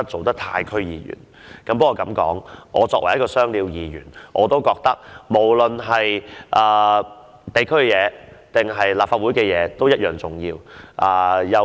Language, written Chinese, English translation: Cantonese, 但是，我作為一名"雙料"議員，認為無論地區還是立法會的工作均同樣重要。, Nevertheless as a Member who is also serving as a District Council member I consider that district work is as important as my work in this Council